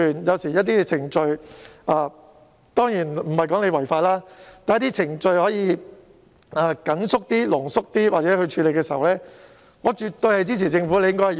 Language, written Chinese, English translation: Cantonese, 當然，我並不是說政府可以違法，但如果政府可以將某些程序壓縮處理，我絕對支持。, Certainly I am not saying that the Government can break the law but if it can compress certain process I will certainly render my support